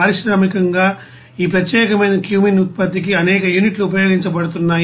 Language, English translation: Telugu, There are several units are actually being used for this particular cumene production industrially